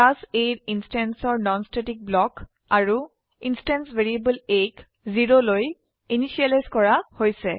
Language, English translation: Assamese, non static block of an instance of class A and the instance variable a is initialized to 0